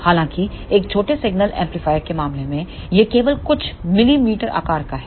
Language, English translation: Hindi, However, in case of a small signal amplifier it is of just few millimeter size